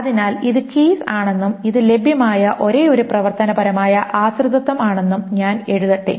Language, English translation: Malayalam, Okay, so let me write down this is the keys and this are the only functional dependencies that are available